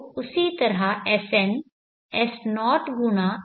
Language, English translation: Hindi, So in the same way sn will be s0 x i n